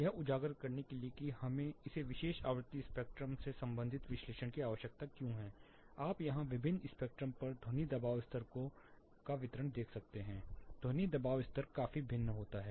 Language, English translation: Hindi, To highlight why we need this particular frequency spectrum related analysis, what you find here at different spectrum the distribution of sound pressure level this is sound pressure level considerably varies